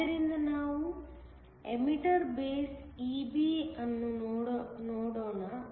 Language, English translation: Kannada, So, let us look at the emitter base EB